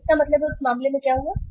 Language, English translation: Hindi, So it means in that case what happened